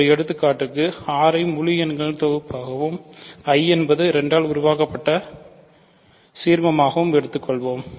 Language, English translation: Tamil, So, as an example let us take R to be the set of integers and I to be the ideal generated by 2